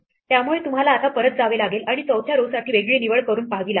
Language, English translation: Marathi, So, you would now have to go back and try a different choice for the 4th row and so on